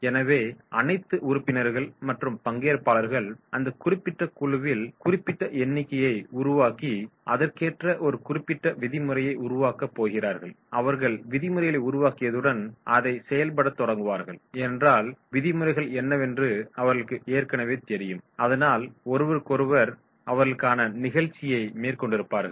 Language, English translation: Tamil, So all members are developed on in that particular group or team for that particular participants number of participants, they are going to develop a particular norm, as soon as they develop the norms then they start performing because already they know what are the norms are there for each other so they will be having the performing